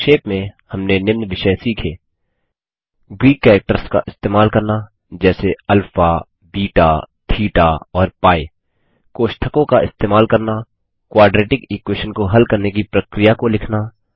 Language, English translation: Hindi, To summarize, we learned the following topics: Using Greek characters like alpha, beta, theta and pi Using Brackets Writing Steps to solve a Quadratic Equation